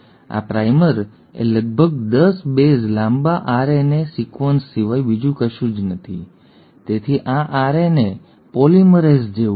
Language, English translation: Gujarati, Now primer is nothing but about 10 bases long RNA sequence, so this is like an RNA polymerase